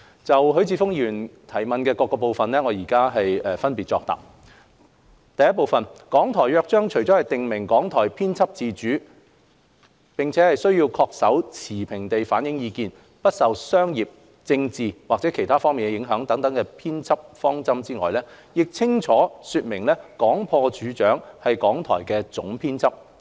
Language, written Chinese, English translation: Cantonese, 就許智峯議員質詢的各個部分，我現分別答覆如下：一《港台約章》除了訂明港台編輯自主並須恪守持平地反映意見、不受商業、政治及/或其他方面的影響等編輯方針外，亦清楚說明廣播處長是港台的總編輯。, My reply to the various parts of the question raised by Mr HUI Chi - fung is as follows 1 Aside from stipulating that RTHK is editorially independent and that it must adhere to the editorial principles of being impartial in the views it reflects and being immune from commercial political andor other influences the Charter also clearly states that the Director of Broadcasting is RTHKs Editor - in - chief